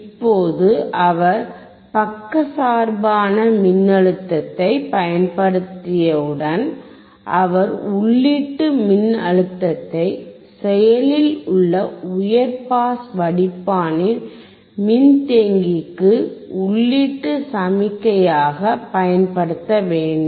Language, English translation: Tamil, Now once he has applied the biased voltage, he has to apply the input voltage input signal to the capacitor of the active high pass filter